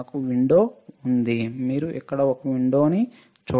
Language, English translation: Telugu, I have a window, right; you see here is a window